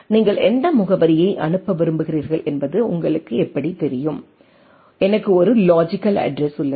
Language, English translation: Tamil, How do you know that what address you want to send it to right, I have a logical address right